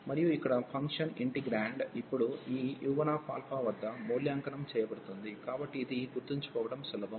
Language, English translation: Telugu, And the function here, the integrand will be now evaluated at this u 1 alpha, so that is the rule that is easy to remember